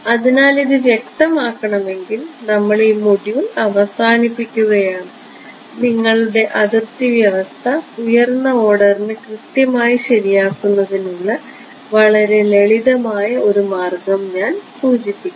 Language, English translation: Malayalam, So, if this is clear then we need to conclude this module will I just mention one very simple way of making your boundary condition accurate for higher order ok